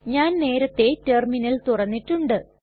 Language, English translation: Malayalam, I have already invoked the Terminal here